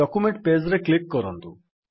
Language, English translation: Odia, So lets click on the document page